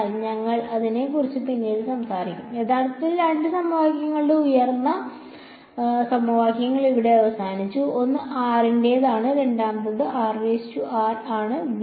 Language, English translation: Malayalam, So, we will talk about that subsequently, this the top equations there are actually 2 equations are over here one is when r belongs to r r prime belongs v 1 and the second is r prime belongs to v 2